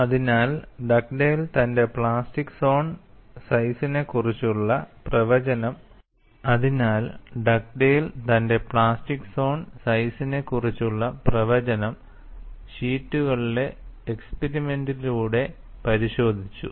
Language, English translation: Malayalam, So, Dugdale verified his prediction of the plastic zone size with experiments on sheets